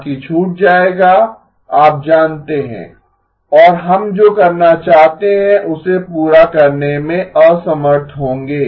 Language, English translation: Hindi, Others will be left you know and unable to finish what we would like to do